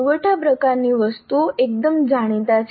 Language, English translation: Gujarati, Supply, supply type items are fairly well known